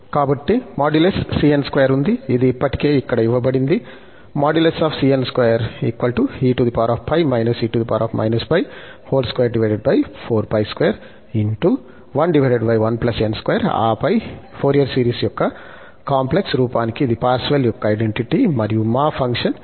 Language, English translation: Telugu, So, we have the modulus cn square ready, which is given already here, and then, this is the Parseval's identity for the complex form of Fourier series and our function is e power x